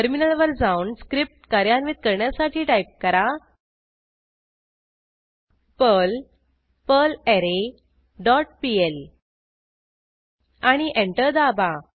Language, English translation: Marathi, Switch to the terminal and execute the script as perl perlArray dot pl and press Enter